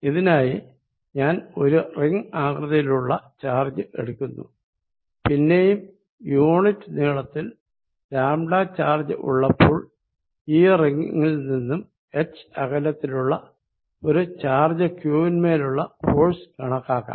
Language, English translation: Malayalam, I am going to take a ring of charge, again having lambda charge per unit length and calculate force on a charge q kept at a distance h from the ring